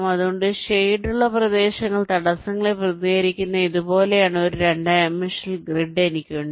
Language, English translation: Malayalam, lets take an example like this: so i have a two dimensional grid like this where the shaded regions represent the obstacles, so i can map it to a graph